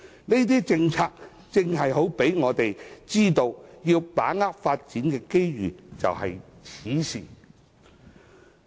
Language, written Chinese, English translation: Cantonese, 這些政策正好讓我們知道，要把握發展的機遇就在此時。, All these remind us that it is high time for us to seize the opportunities for development